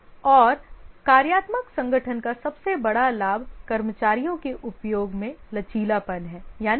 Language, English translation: Hindi, And one of the biggest advantage of the functional organization is the flexibility in use of the staff